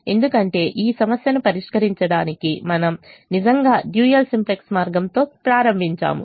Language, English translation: Telugu, we actually started with the dual simplex way